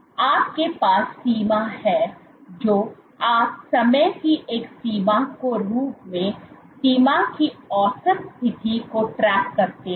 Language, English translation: Hindi, So, you have the border you track the average position of the border as a function of time